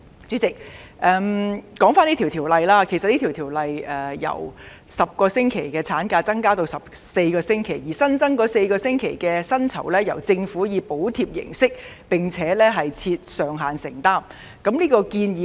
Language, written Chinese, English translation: Cantonese, 主席，回到《條例草案》建議的修訂，即由10個星期產假延長至14個星期，而額外產假薪酬由政府以報銷並設上限的形式承擔。, President I now revert to the amendments proposed in the Bill namely extending the maternity leave from 10 weeks to 14 weeks and that the additional maternity leave pay will be funded by Government on a reimbursement basis but subject to a cap